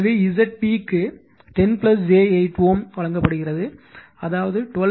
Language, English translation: Tamil, So, Z p is given 10 plus j 8 ohm that is 12